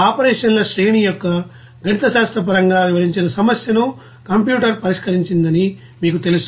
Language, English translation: Telugu, You know that computer solved the problem that you know described the mathematically of a series of that operations